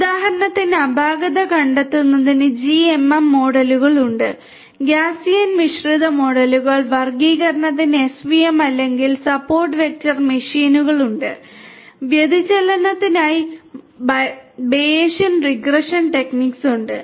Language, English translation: Malayalam, For example, for anomaly detection GMM models are there – Gaussian Mixture Models, for classification SVM or Support Vector Machines are there, for digression Bayesian regression techniques are there